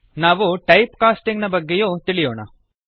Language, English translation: Kannada, We will also learn about Type casting